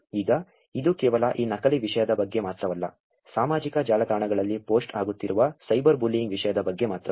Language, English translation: Kannada, Now, it is not about only this fake content, it is not only about the cyber bullying content that are being posted on social networks